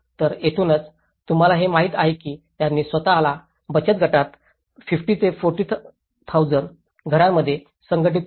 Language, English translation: Marathi, So, this is where many of these remaining you know they organized themselves into a self help groups 50 to 4,000 households